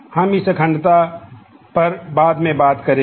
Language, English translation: Hindi, We will talk about this integrity at a later point of time